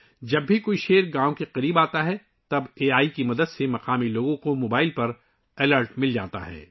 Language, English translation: Urdu, Whenever a tiger comes near a village; with the help of AI, local people get an alert on their mobile